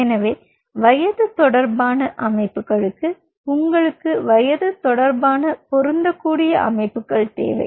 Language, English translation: Tamil, so for age related systems you needed something which is age related, matching systems